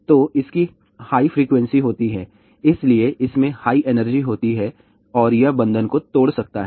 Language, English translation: Hindi, So, it has a higher frequency hence it has a higher energy and it can break the bond